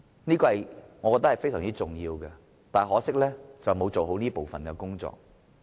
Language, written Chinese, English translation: Cantonese, 這點我認為是非常重要的，但可惜政府沒有做好這部分的工作。, I think this is a very important point but regrettably the Government has not properly taken forward this part of the job